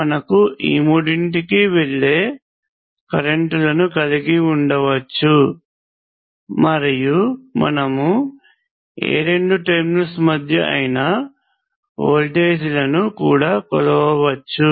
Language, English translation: Telugu, We can have currents going into all three of them, and we can also measure the voltages between any two of those terminals